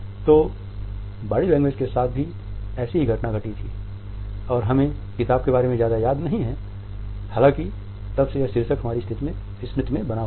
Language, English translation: Hindi, So, the same phenomena had happened with body language also we do not remember much about the book itself; however, the title has remained in our memory since then